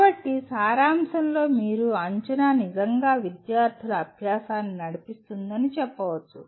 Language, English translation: Telugu, So in summary you can say assessment really drives student learning